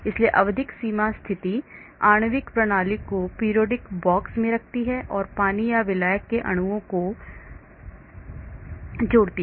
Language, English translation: Hindi, so periodic boundary condition places the molecular system in a periodic box and adds water or solvent molecules